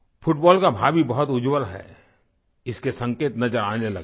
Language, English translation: Hindi, The signs that the future of football is very bright have started to appear